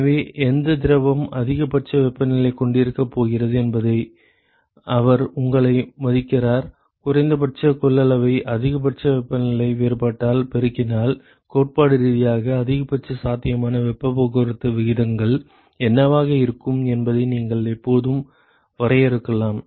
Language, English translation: Tamil, So, he respects you off which fluid is going to have maximal temperature you can always define in terms of the minimum capacity multiplied by the maximal temperature difference that you tell you what will be theoretical maximum possible heat transport rates, ok